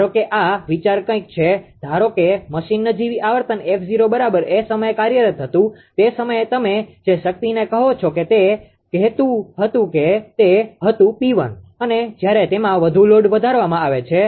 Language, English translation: Gujarati, Suppose the idea idea is something like this suppose machine you are operating at a at a nominal frequency f 0 right, at that time, at that time your what you call that power was say it was P 1 and when that further load is increased